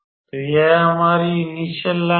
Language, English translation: Hindi, So, this is our initial line